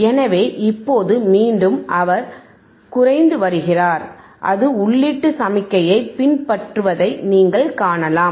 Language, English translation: Tamil, So, now you are again, he is decreasing and you can see it is following the input signal